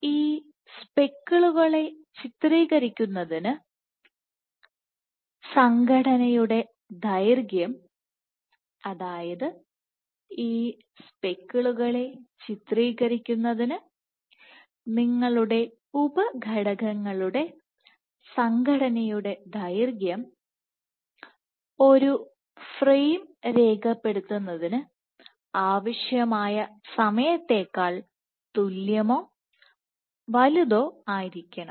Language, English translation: Malayalam, So, in order to image these speckles, the duration of association, for imaging speckles, for imaging speckles your duration of association of the sub units must be equal or larger than the time required for capturing a frame